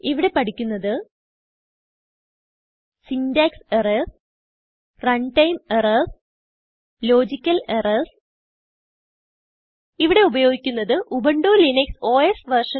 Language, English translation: Malayalam, In this tutorial, we will learn about Syntax errors Runtime errors and Logical errors To record this tutorial I am using, Ubuntu Linux OS version 12.04